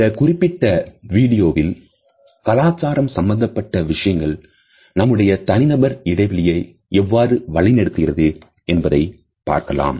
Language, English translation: Tamil, In this particular video, we can look at the cultural aspects which govern our personal space